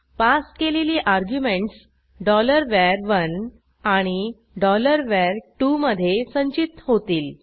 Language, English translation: Marathi, The passed arguments are caught in $var1 $var2